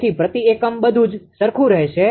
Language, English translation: Gujarati, So, per unit everything will remain same